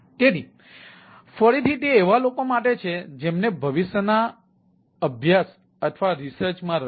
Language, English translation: Gujarati, so, ah, this is again those who are interested in future study research